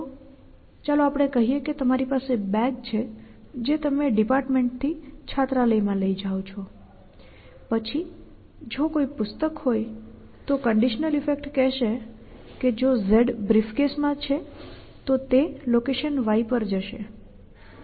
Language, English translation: Gujarati, So, let us say you have bag that you carry from department to hostel then if there is a book a conditional effect will say if z is in briefcase then z goes to location y